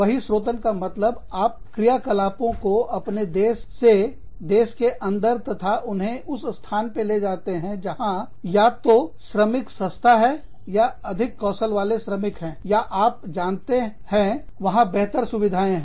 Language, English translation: Hindi, Outsourcing means, you take the operations, from within your country, and take them to a location, where you can either find cheap labor, or more skilled labor, or you know, better facilities